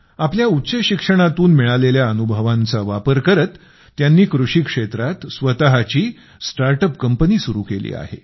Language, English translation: Marathi, He is now using his experience of higher education by launching his own startup in agriculture